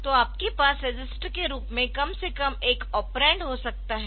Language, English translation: Hindi, So, you can have at least one of the operands as a register